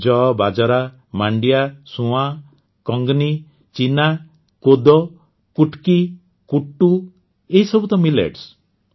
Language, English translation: Odia, Jowar, Bajra, Ragi, Sawan, Kangni, Cheena, Kodo, Kutki, Kuttu, all these are just Millets